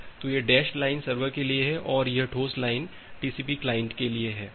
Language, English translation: Hindi, So, this dashed line which is being followed that is for the server and solid line is for the TCP client